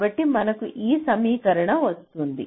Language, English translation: Telugu, so here you get this equation